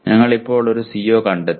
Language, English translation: Malayalam, We just found a CO